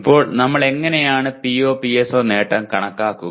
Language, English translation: Malayalam, Now how do we compute the PO/PSO attainment